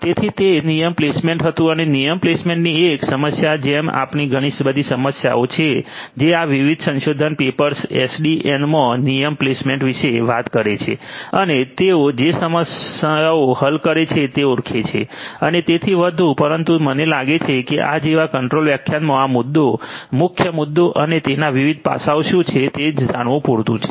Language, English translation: Gujarati, So, that was the rule placement and one problem with rule placement like this there are so many different problems these different research papers that talk about rule placement in SDN deal with and they identify the problems they solve the those problems and so on, but I think it is sufficient in a short lecture like this to know only what the issue main issue is and what are the different aspects of it